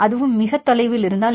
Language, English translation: Tamil, So, if it is very far then